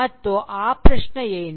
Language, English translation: Kannada, And what is that question